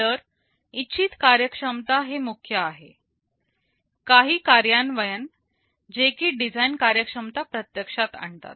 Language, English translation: Marathi, So, desired functionality is the keyword, some implementation that realizes the design functionality